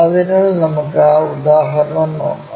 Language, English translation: Malayalam, So, let us look at that example